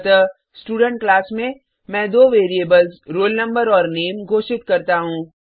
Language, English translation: Hindi, So inside this class Student let me declare two variables Roll Number and Name